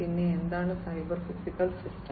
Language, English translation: Malayalam, And what is a cyber physical system